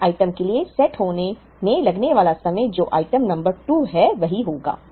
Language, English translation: Hindi, The time taken to set for the yellow item which is item number 2 will be the same